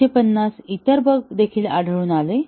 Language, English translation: Marathi, 150 other bugs were also detected